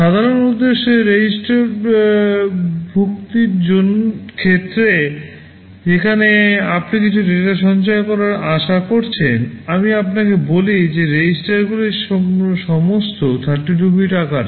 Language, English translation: Bengali, In terms of the general purpose registers where you are expected to store some data, I told you the registers are all 32 bits in size